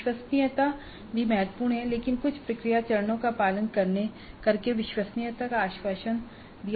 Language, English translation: Hindi, So the reliability is also important but the reliability can be assured by following certain process steps